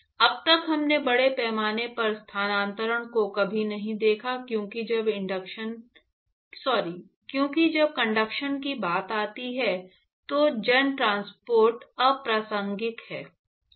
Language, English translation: Hindi, So, far we never looked at mass transfer, because when it comes to conduction mass transport is irrelevant